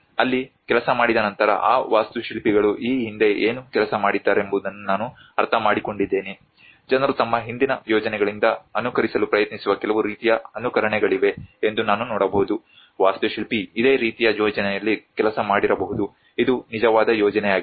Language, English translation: Kannada, Having worked there, I also have an understanding what those architects have previously worked I can see that there is some kind of imitations which people trying to imitate from their previous projects may be the architect have worked on a similar project which is the real project